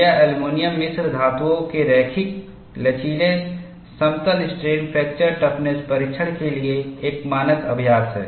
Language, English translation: Hindi, This is a standard practice for linear elastic plane strain fracture toughness testing of aluminum alloys